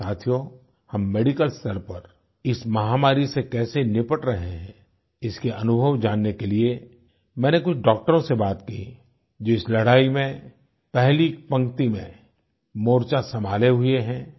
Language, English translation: Hindi, Friends, to know the capability with which we are dealing with this pandemic at the medical level, I also spoke to some doctors who are leading the front line in this battle